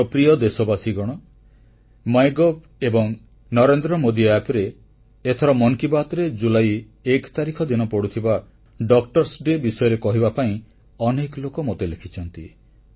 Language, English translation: Odia, My dear countrymen, many of you have urged me on My gov and Narendra Modi app to mention Doctor's Day, the 1st of July